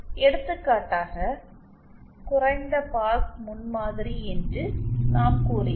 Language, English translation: Tamil, For example let us see we had say a low pass prototype